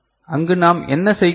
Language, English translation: Tamil, So, what we do there